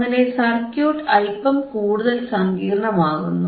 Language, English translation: Malayalam, So, circuit becomes little bit more complex